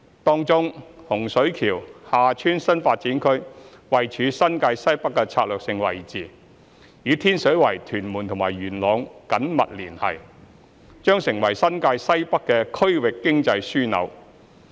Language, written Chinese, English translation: Cantonese, 當中，洪水橋/廈村新發展區位處新界西北的策略性位置，與天水圍、屯門和元朗緊密連繫，將成為新界西北的區域經濟樞紐。, In particular the Hung Shui KiuHa Tsuen New Development Area which is strategically located in the North West New Territories and well connected to Tin Shui Wai Tuen Mun and Yuen Long will serve as a regional economic hub of the North West New Territories